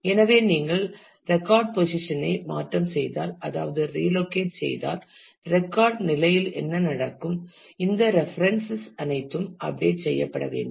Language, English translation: Tamil, So, what will happen is if you change the position of the record if you relocate the record, then all these references will have to be updated